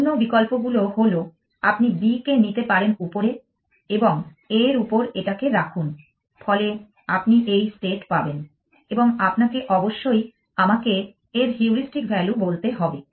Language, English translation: Bengali, The other options are you can take b on top put it on a, so you will get this state and you must tell me that heuristic value of this